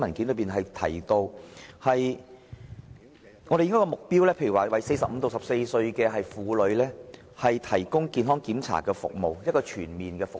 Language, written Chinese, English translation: Cantonese, 舉例而言，我們的目標，是向45歲至64歲這個年齡層的婦女，提供全面的健康檢查服務。, One objective set down in this document for instance is to provide comprehensive check - up services for women aged between 45 and 64